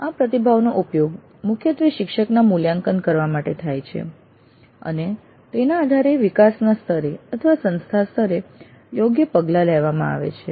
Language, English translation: Gujarati, This feedback is primarily used to evaluate the faculty and based on that take appropriate actions at the department level or at the institute level